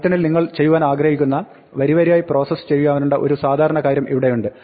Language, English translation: Malayalam, Here is a typical thing that you would like to do in python, which is to process it line by line